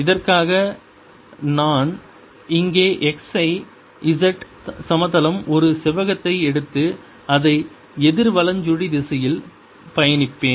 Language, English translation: Tamil, for this i'll take a rectangle in the x, z plane here and traverse it counter clockwise